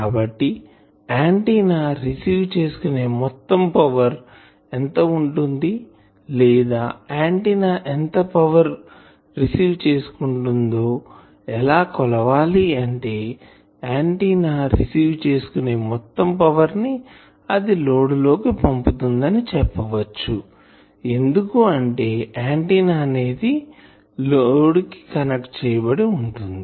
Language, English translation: Telugu, So, total power received by the antenna, or you can say how do I measure total power received by the antenna, you can say total power received by the antenna and delivered to the load, or total power received by the load, because ultimately the antenna will be connected to a load